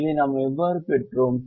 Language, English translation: Tamil, how did we get this